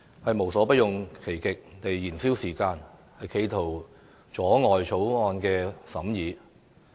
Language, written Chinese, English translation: Cantonese, 他們無所不用其極來燃燒時間，企圖阻撓我們審議《條例草案》。, They used every possible means to waste time and tried to hinder our examination of the Bill